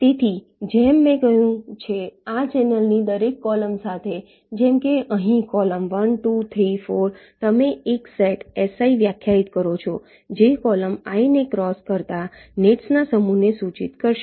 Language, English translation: Gujarati, so so, as i said, along every column of this channel, like here column one, two, three, four, like this, you define a set, s i, which will denote the set of nets which cross column i